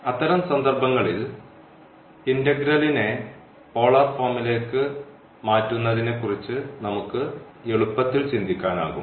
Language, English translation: Malayalam, In those cases, we can easily think of converting the integral to polar form or the integrand itself